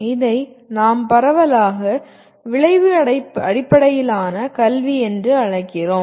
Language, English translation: Tamil, And this is what we broadly call it as outcome based education